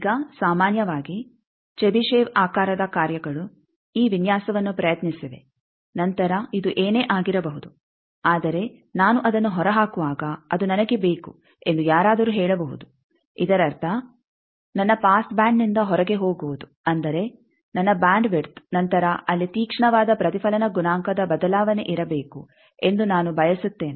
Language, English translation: Kannada, Now, generally chebyshev shape functions are there by which this design is attempted then someone may say that whatever this thing, but I want that when the I am ejecting that means, going out of my pass band that means, I am after my bandwidth I want that there should be very sharp reflection coefficient change